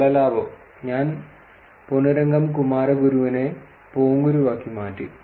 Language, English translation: Malayalam, Space gain, I said the Ponnurangam Kumaraguru to Ponguru